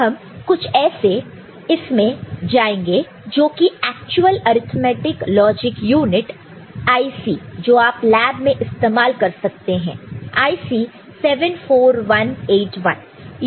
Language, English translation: Hindi, Now, we go to something which is actual arithmetic logic unit IC that you might use in the lab this is IC 74181